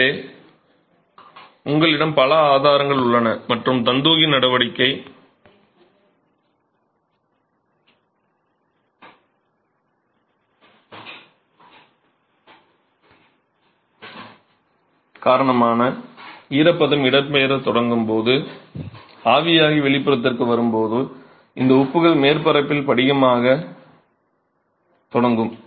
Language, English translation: Tamil, So, you have several sources and when moisture starts migrating due to capillary action comes to the exterior to get evaporated, you have these salts that will start crystallizing on the surface